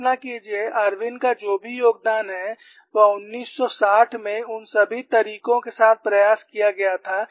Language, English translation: Hindi, See imagine, whatever the Irwin's contribution, he played with all those tricks in 1960's; so you should appreciate